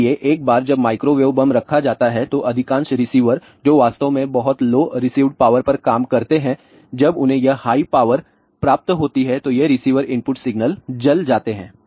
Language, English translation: Hindi, So, once a microwave bomb is put most of the receivers which actually work at a very low received power when they receive this very high power these receiver input signal get burned